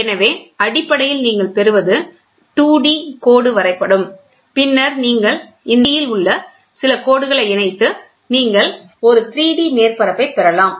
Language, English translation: Tamil, So, basically what do you get is a 2D line plot, then you stitch, join, several of this 2D, you get a 3D on a surface